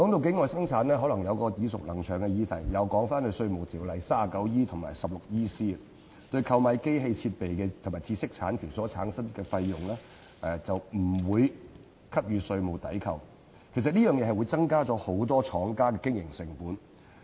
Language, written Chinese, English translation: Cantonese, 境外生產涉及一個耳熟能詳的議題，即根據《稅務條例》第 39E 條及第 16EC 條，對購買機器設備及知識產權所產生的費用不予以稅務抵扣，增加很多廠家的經營成本。, Offshore production involves a familiar subject that is under section 39E and section 16EC of the Inland Revenue Ordinance no taxation deduction is allowable in respect of fees arising from the purchase of machinery equipment and intellectual property rights thus leading to the increase in operating costs of many manufacturers